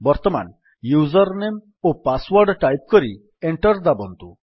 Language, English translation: Odia, Now let us type the username and password and press Enter